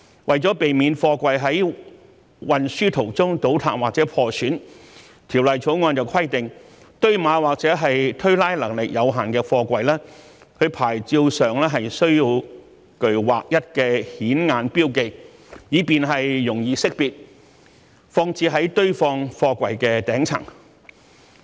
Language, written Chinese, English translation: Cantonese, 為了避免貨櫃在運輸途中倒塌或破損，《條例草案》規定堆碼或者推拉能力有限的貨櫃，其牌照上須具劃一的顯眼標記，以便容易識別，放置在堆放貨櫃的頂層。, To prevent containers from collapsing or being damaged during transport the Bill requires that the SAPs of containers with limited stacking or racking capacity be conspicuously marked in a standardized manner so that these containers can be easily identified and arranged at the top of a stack of containers